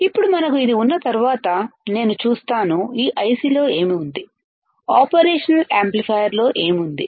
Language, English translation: Telugu, Now, once we have this I see what is there within this IC, what is there within the operation amplifier